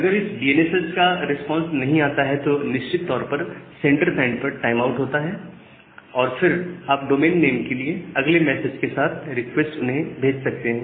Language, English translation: Hindi, And if the DNS message is not responds, you will certainly have a timeout at the sender side you can again request for the domain name with the next message